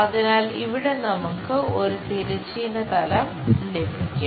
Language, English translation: Malayalam, So, here we will have horizontal plane